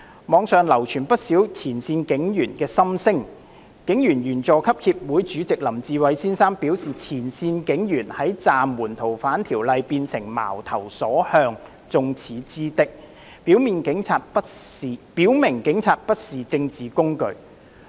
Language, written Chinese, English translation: Cantonese, 網上流傳不少前線警員的心聲，香港警察隊員佐級協會主席林志偉先生表示，前線警員在暫緩修訂《逃犯條例》後變成矛頭所向、眾矢之的，表明警察不是政治工具。, According to Mr LAM Chi - wai Chairman of the Junior Police Officers Association of the Hong Kong Police Force frontline police officers have become targets of attacks and criticisms following the suspension of the FOO amendment and he stressed that the Police are not a political instrument